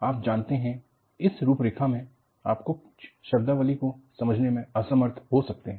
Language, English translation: Hindi, You know, in this outline, you may not be able to appreciate some of the terminologies